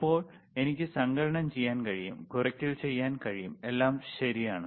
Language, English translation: Malayalam, So now, I can do addition, I can do the subtraction, all right